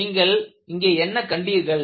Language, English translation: Tamil, So,that is what you find here